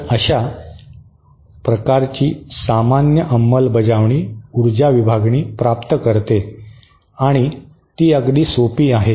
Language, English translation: Marathi, So, such a common of this kind of implementation is achieves power division and it is very simple